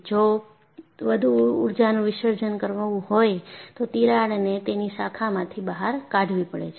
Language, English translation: Gujarati, So, if more energy has to be dissipated, the crack has to branch out